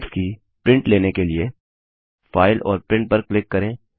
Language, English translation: Hindi, To take prints of your slides, click on File and Print